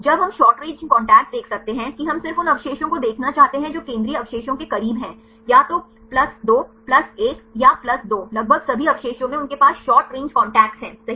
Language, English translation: Hindi, When we can see short range contacts, that we just we want to see the residues which are close to the central residue either +2 +1 or +2 almost all residues they have a short range contacts right